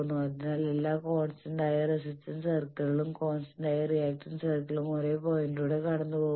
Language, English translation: Malayalam, So, the same point through which all the constant resistance circles passed the constant reactance circles also passed through the same point